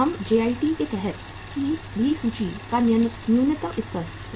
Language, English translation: Hindi, We keep the minimum level of inventory under the JIT also